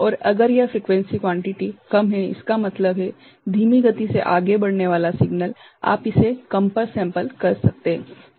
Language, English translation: Hindi, And, if it is a frequency quantity is less; that means, slow moving signal you can sample it at a lower right